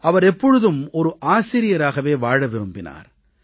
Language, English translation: Tamil, He was committed to being a teacher